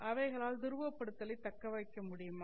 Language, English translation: Tamil, Can they maintain polarization